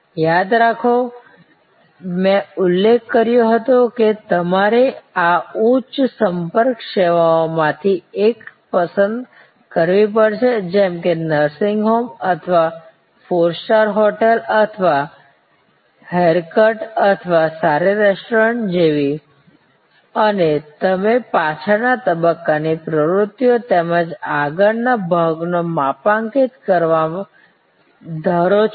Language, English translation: Gujarati, Remember, I had mentioned that you have to choose one of these high contact services, like a nursing home or like a four star hotel or like a haircut or a good restaurant and you are suppose to map the back stage activities as well as the front stage activities of this high contact service